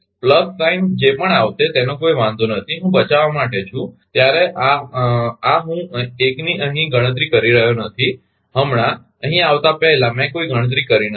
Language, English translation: Gujarati, Whatever will come plus minus does not matter I I am ah to save sometime I am not computing this 1 here, I did not do any calculation before coming here right